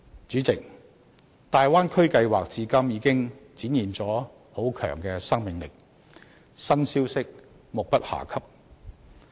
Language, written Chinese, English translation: Cantonese, 主席，大灣區計劃至今已展現了很強的生命力，新消息目不暇給。, President the development plan of the Bay Area has so far demonstrated extremely strong vitality and new ideas and information keep emerging